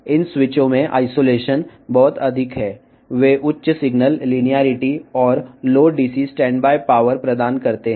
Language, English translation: Telugu, The isolation is also very high in these switches; they provide high signal linearity and Low DC standby power